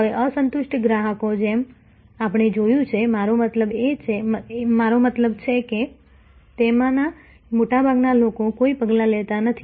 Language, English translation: Gujarati, Now, unhappy customers as we saw, I mean in a large majority of them take no action